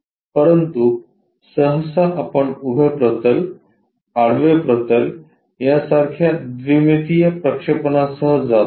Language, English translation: Marathi, But, usually we go with this 2 dimensional projections like on vertical plane, horizontal plane